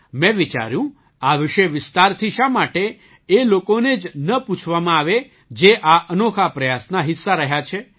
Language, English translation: Gujarati, I thought, why not ask about this in detail from the very people who have been a part of this unique effort